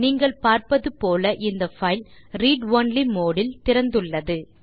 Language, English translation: Tamil, As you can see, this file is open in read only mode